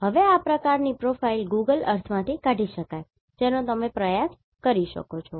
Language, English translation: Gujarati, Now, this kind of profile can be extracted from the Google Earth that you can try